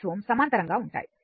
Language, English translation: Telugu, 6 ohm are in parallel